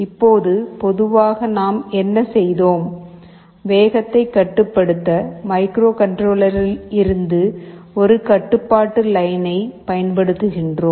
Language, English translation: Tamil, Now normally what we have done, we are using one control line from the microcontroller to control the speed